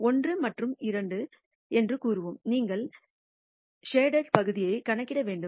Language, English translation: Tamil, Let us say 1 and 2 you have to compute the shaded region